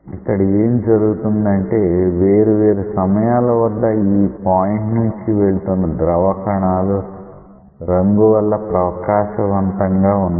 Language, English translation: Telugu, So, what is happening whatever fluid molecules or fluid particles which are passing through this point at different instants of time they are illuminated by the dye